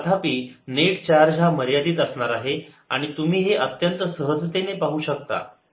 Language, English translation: Marathi, however, the net charge is going to be finite and you can see that very easily